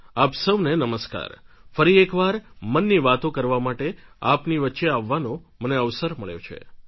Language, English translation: Gujarati, I have the opportunity to be amongst you to share my Mann Ki Baat once again